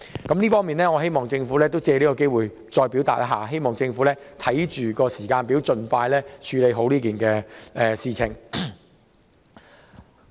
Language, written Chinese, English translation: Cantonese, 我藉此機會提出這項建議，希望政府能訂立時間表，盡快妥善落實有關安排。, I take this opportunity to make this suggestion and hope that the Government can draw up a timetable to expeditiously implement the arrangement in a proper manner